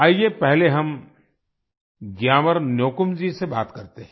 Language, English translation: Hindi, Let us first talk to GyamarNyokum